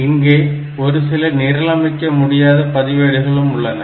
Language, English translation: Tamil, There are some other non programmable registers